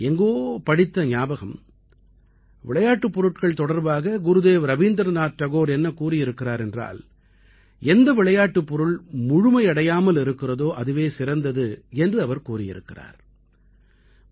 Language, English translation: Tamil, I read somewhere what Gurudev Rabindranath Tagore had said about toys, the best toy is that which is incomplete; a toy that children together complete while playing